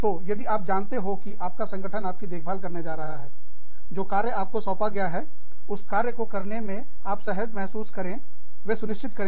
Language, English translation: Hindi, So, if you know, that your organization is going to look after you, they will make sure, that you are comfortable in doing, whatever they have assigned you